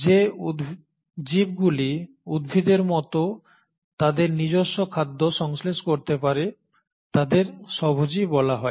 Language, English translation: Bengali, Organisms which can synthesise their own food like plants are called as autotrophs